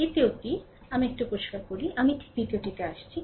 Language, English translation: Bengali, The second one, let me clean it, I will come second one that , right